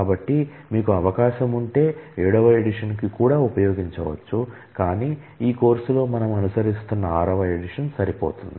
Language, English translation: Telugu, So, if you get access to the seventh edition, you can use that as well, but whatever we are following in this course sixth edition is good enough